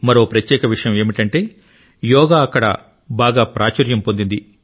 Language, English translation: Telugu, Another significant aspect is that Yoga is extremely popular there